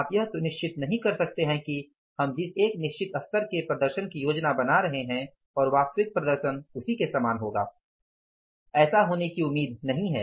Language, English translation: Hindi, You cannot be sure 100% that we are planning for a given level of performance and actually also will also be the same level of performance that is not expected to happen